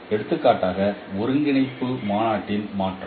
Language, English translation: Tamil, For example, change of coordinate convention